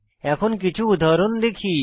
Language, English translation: Bengali, Lets us see some examples now